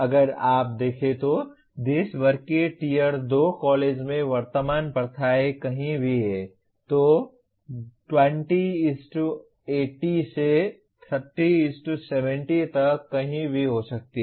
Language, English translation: Hindi, To this extent the present practices in tier 2 college across the country if you see, there could be anywhere from 20:80 to 30:70